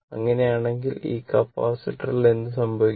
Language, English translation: Malayalam, So, in that case, what will happen this capacitor